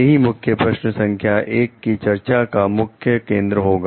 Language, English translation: Hindi, This will be a focus of discussion for key question number 1